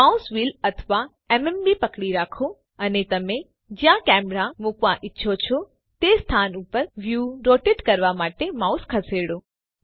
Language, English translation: Gujarati, Hold the mouse wheel or the MMB and move the mouse to rotate the view to a location where you wish to place your camera